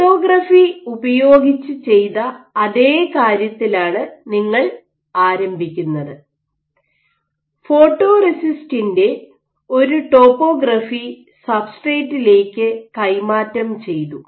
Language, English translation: Malayalam, So, what you do you begin with the same thing you have using lithography, what you have achieved is you have transferred a given topography of your photoresist on the substrate